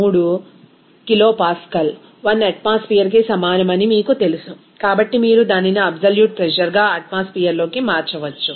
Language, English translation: Telugu, 3 kilopascal is equivalent to 1 atmosphere, so you can convert it to absolute pressure into atmosphere